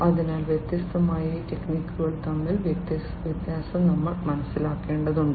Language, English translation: Malayalam, So, we need to understand the, you know, the difference between the different AI techniques